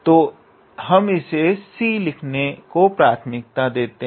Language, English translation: Hindi, So, we prefer to write it as c